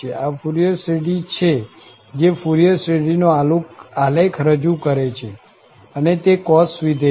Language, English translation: Gujarati, This is the Fourier series that represent the graph of the Fourier series and this was the cos function